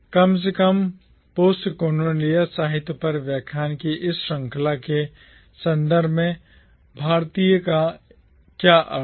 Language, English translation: Hindi, At least, what does Indian mean within the context of this series of lecture on Postcolonial literature